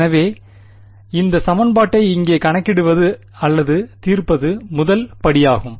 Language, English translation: Tamil, So, the first step is to calculate or rather solve this equation over here